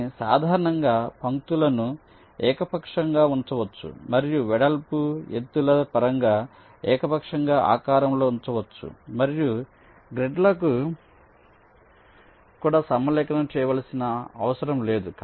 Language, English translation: Telugu, but in general, the lines can be arbitrarily placed and also arbitrarily shaped in terms of the width, the heights, and also need not be aligned to the grids